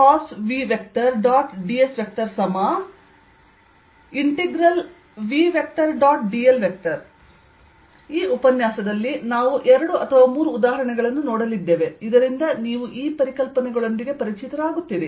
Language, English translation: Kannada, in this lecture we are going to look at two or three examples so that you get familiar with these concepts